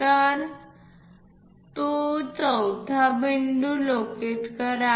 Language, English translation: Marathi, So, locate that fourth point